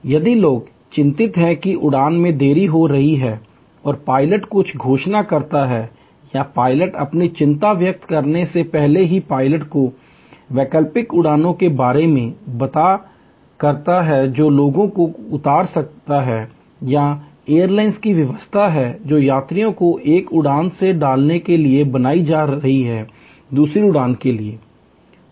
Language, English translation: Hindi, If people are anxious that the flight is getting delayed and the pilot makes some announcement or the pilot even before people express their anxiety, talks about alternate flights that people can take off or the airline arrangements that are being made to put the passengers from one flight to the other flight